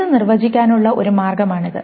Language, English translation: Malayalam, This is one way of defining it